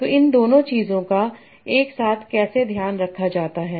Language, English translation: Hindi, So how are both of these things taken care together